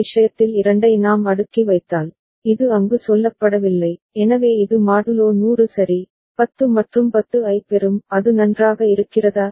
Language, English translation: Tamil, If we cascade two of this thing, not this one is say there, so it will get modulo 100 ok, 10 and 10 right is it fine